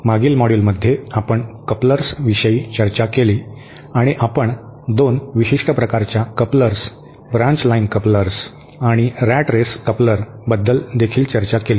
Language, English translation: Marathi, In the last module we introduced we discussed about couplers and we also discussed about 2 specific types of couplers, the branch line couplers and the rat race couplers